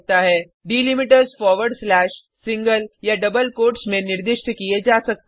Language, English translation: Hindi, Delimiters can be specified in forward slash, single or double quotes